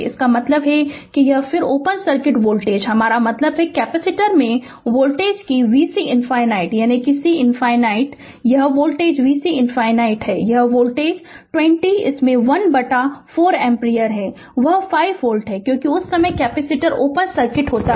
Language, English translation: Hindi, That means and then then open circuit voltage, I mean voltage across the capacitor that v c infinity right, that is v c infinity this is the this is your voltage v c infinity this is the voltage right is equal to your this 20 into this 1 by 4 ampere, that is is equal to 5 volt right, because, capacitor is open circuit at that time